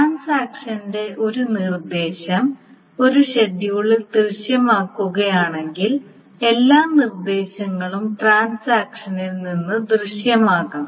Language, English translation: Malayalam, So if a transaction appears, if one instruction of a transaction appears in a schedule, all the instructions must appear from the transactions